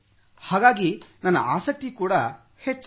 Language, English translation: Kannada, So just like that my interest grew